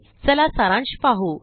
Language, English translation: Marathi, lets just summarize